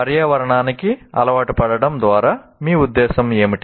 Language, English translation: Telugu, What do we mean by accustoming to the environment